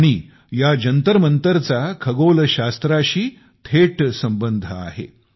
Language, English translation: Marathi, And these observatories have a deep bond with astronomy